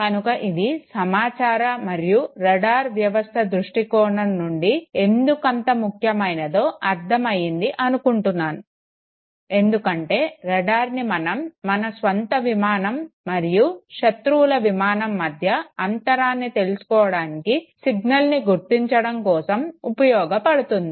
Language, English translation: Telugu, Now why this is so important from of course communication perspective okay, the radar system it makes sense no because the radar is supposed to detect the signal so that it can make distinction between the own aircraft versus enemy’s aircraft okay